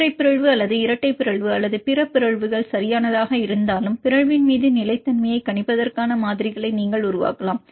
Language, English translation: Tamil, And you can develop models for predicting the stability upon mutation whether the single mutation or the double mutation or a multiple mutations right